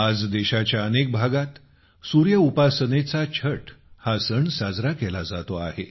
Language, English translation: Marathi, Today, 'Chhath', the great festival of sun worship is being celebrated in many parts of the country